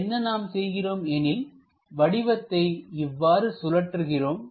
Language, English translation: Tamil, What we can do is; turn this object in that way